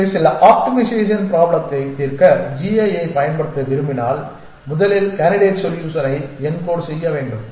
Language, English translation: Tamil, So, when we want to use the g a to solve some optimization problem we have to first encode the candidate solution